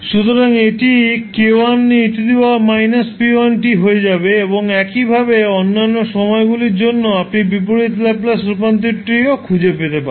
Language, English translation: Bengali, So, this will become k1 into e to the power minus p1t and similarly, for other times also you can find out the inverse Laplace transform